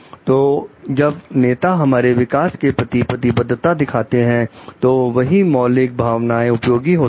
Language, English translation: Hindi, So, when leaders show commit to our growth the same primal emotions are tapped